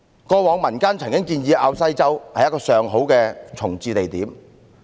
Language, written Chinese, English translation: Cantonese, 過往民間曾提出滘西洲是一個上好的重置地點。, In the past it has been proposed in the community that Kau Sai Chau is a good site for the relocation